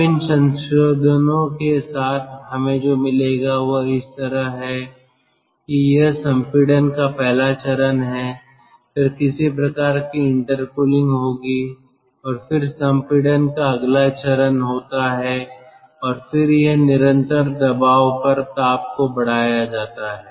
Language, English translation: Hindi, now, with these modifications, what we will get is like this: this is the first stage of compression, then there will be some sort of intercooling and then there is next stage of next stage of compression and then this is the constant pressure heat addition